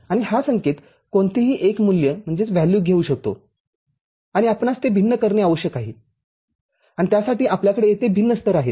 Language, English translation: Marathi, And this signal can take any value and we need to discretize it and for that what we are having here is different levels